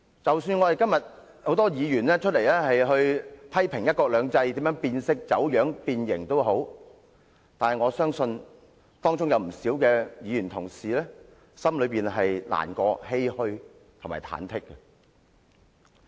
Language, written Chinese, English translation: Cantonese, 即使今天很多議員批評"一國兩制"變色、走樣、變形，但我相信當中有不少議員同事心感難過、欷歔和忐忑。, Many Members today criticize that one country two systems has been deviated distorted and deformed but I believe quite a number of colleagues are actually saddened agonized and perturbed